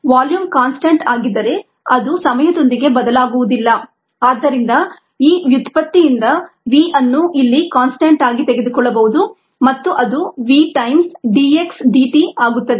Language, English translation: Kannada, if volume is a constant, the ah, it's not going to change with time and therefore v can be taken out is a constant here of out of out of this derivative and therefore it becomes v times d x d t